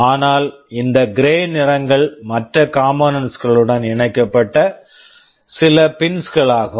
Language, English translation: Tamil, But, these gray colors ones are some pins connected to other components